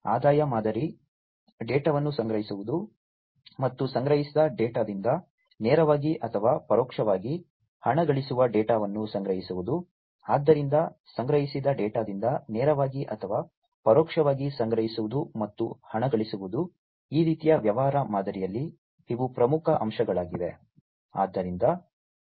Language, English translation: Kannada, The revenue model, collecting the data, and also monetizing the data that is collected directly or indirectly monetizing from the data that is collected; so collecting and monetizing from the collected data directly or indirectly, these are important aspects in this kind of business model